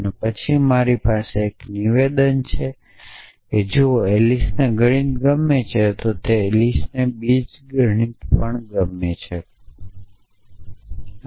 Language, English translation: Gujarati, And then I have a statement if Alice like math then Alice likes algebra